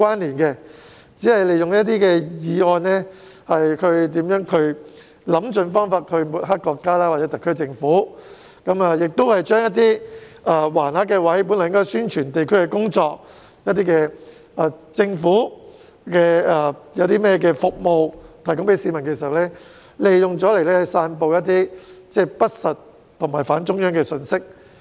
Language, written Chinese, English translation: Cantonese, 他們只是利用有關議案，想方設法抹黑國家或特區政府，並將原先應用作展示橫幅宣傳地區工作或政府服務的地方，用作散布不實或反中央的信息。, They merely use the relevant motions to smear the country or the SAR Government in every possible way . They have even disseminated information that is untruthful or against the Central Authorities at places that are supposed to be used for displaying banners promoting district work or government services